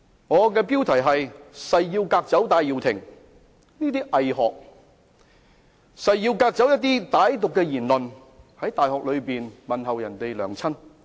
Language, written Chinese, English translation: Cantonese, 我誓要革走戴耀延的偽學，誓要革走歹毒言論，例如在大學內問候別人母親等。, I swear to expel the fake scholar Benny TAI and sweep away vicious remarks such as asking after other peoples mother in universities